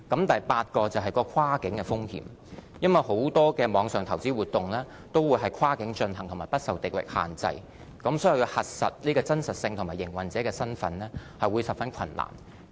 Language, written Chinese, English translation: Cantonese, 第八是跨境的風險，因為很多網上投資活動都是跨境進行和不受地域限制，所以要核實有關方面的真實性和營運者的身份會十分困難。, Eighth it is the cross - border risk . Since many online investment activities are cross - border in nature and not confined to a local jurisdiction it could be difficult to verify their authenticity and trace the operators